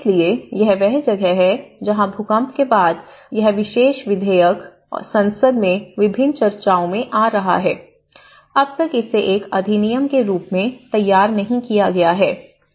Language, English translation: Hindi, So, this is where this after the earthquake, this particular bill has been in the parliament in various discussions, until now it has not been formulated as an act